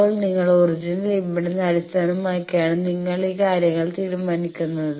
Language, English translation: Malayalam, Now, based on your original impedance that is at which point you decide these things